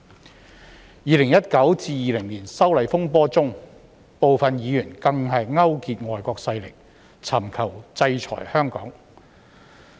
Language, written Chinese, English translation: Cantonese, 在2019年至2020年的修例風波中，部分議員更勾結外國勢力，尋求制裁香港。, During the disturbances arising from the opposition to the proposed legislative amendments from 2019 to 2020 some Members even colluded with foreign forces and sought sanctions against Hong Kong